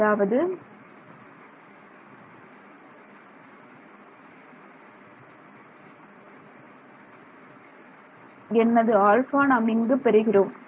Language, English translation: Tamil, So, in other words what is what alpha do I get